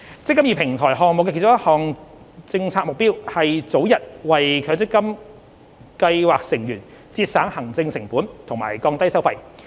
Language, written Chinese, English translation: Cantonese, "積金易"平台項目的其中一項政策目標，是早日為強積金計劃成員節省行政成本和降低收費。, One of the policy objectives of the eMPF Platform Project is to save administrative costs and reduce the fees for MPF scheme members as early as possible